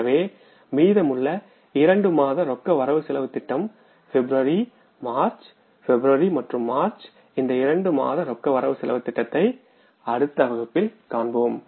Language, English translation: Tamil, So the remaining two months cash budget, February and March, these two months months cash budget I will prepare in the next class